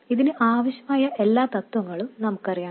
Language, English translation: Malayalam, We already know all the principles we need for this